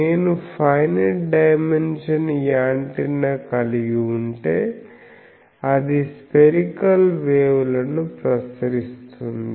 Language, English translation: Telugu, But if I have a finite dimension antenna, then that radiates spherical waves